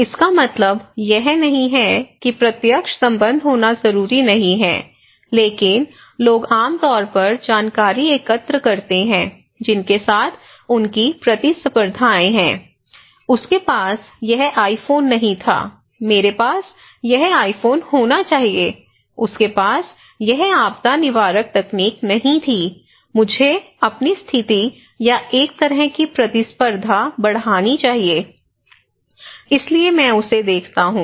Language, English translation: Hindi, That means it is not necessarily to be direct relationship, but people generally collect information with whom they have competitions, they have a same kind of positions you know, they tally, the check; cross check this is okay, oh he did not have this iPhone, I should have this iPhone, he did not have this disaster preventive technology, I should have to raise my status or a kind of competition so, I watch him